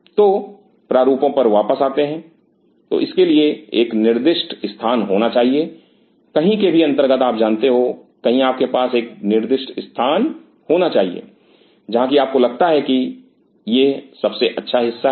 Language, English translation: Hindi, So, coming back to the design, so have to have a designated spot either under that under somewhere you know somewhere you have to have a designated spot where you think that this is the best part